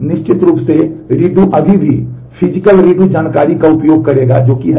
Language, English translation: Hindi, Redo of course will still use the physical redo information which is there